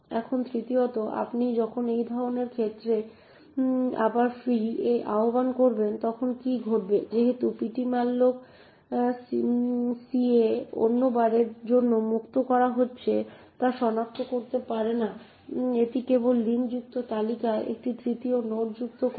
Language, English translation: Bengali, Now thirdly what would happen when you invoke free a again in such a case since ptmalloc cannot identify that a is being freed for the second time it would simply add a third node into the linked list, so note that our linked list virtually has three elements a, b and a